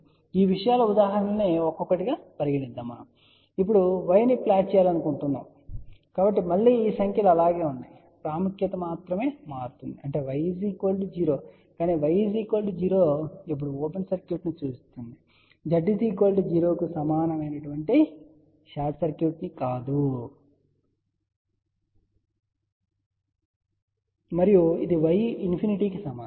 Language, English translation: Telugu, So, will take examples of these things one by one; suppose, we want to now plot y , so again these numbers remain as it is, the significance only changes, that is y is equals to 0 but y equal to 0 now will represent open circuit, not short circuit as Z equal to 0 and this is y equals to infinity